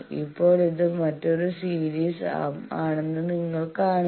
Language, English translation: Malayalam, Now you see this is another series arm